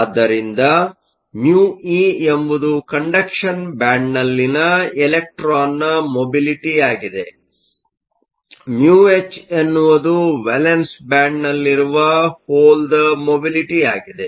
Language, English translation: Kannada, So, mu e is the mobility of the electron in the conduction band, mu h is the mobility of the hole in the valance band